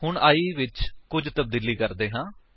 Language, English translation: Punjabi, Now, let us do something with i